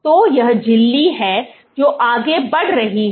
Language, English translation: Hindi, So, this is the membrane which is moving forward